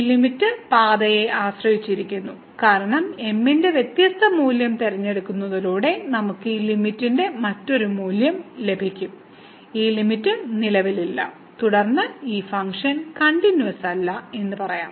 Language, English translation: Malayalam, So, this limit depends on path because choosing different value of we will get a different value of this limit and hence this limit does not exist and then again we will call that this function is not continuous